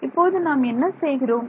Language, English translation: Tamil, What do we do now is